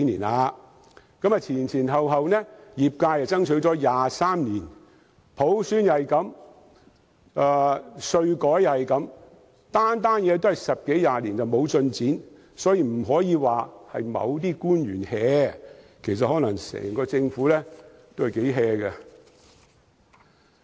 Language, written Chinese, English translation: Cantonese, 業界前前後後已爭取了23年，普選如是，稅改也如是，政府做每件事都是10多年毫無進展，所以我們不能單說某些官員""，其實可能整個政府也很""。, It is the same story as the constitutional reform as well as the tax reform . When we want the Government to do something we would only end up waiting for decades in futile . So we cannot say that only a particular public official is idling; perhaps the entire Government is also idling